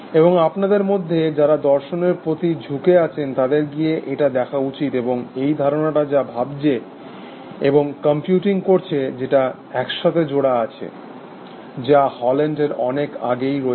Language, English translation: Bengali, And for those of you of philosophically inclined, should go and have look at it, and this idea, that thinking and computing are kind of tied up together, goes back much before Haugeland